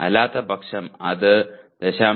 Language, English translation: Malayalam, Whether it is 0